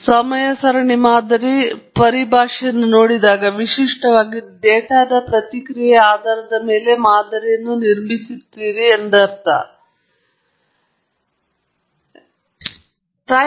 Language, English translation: Kannada, So, the time series model, when you look at the terminology, typically, it means you are building model based only on the response of the data, but many people use it with a larger connotation